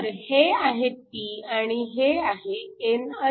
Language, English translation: Marathi, So, this is the p that is the n+